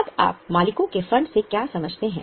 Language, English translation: Hindi, Now, what do you understand by owners fund